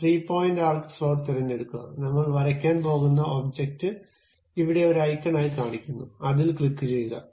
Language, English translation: Malayalam, Pick three point arc slot, the object whatever the thing we are going to draw is shown here as icon, click that one